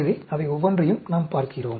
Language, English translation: Tamil, So, we look at each one of them